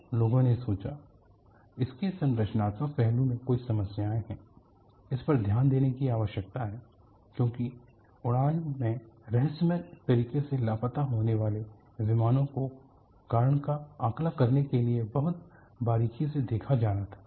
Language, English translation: Hindi, So, people thought, there are some problems in the structural aspect of it; that needs to be looked at because aircrafts missing mysteriously in flight was to be looked at very closely to assess the reason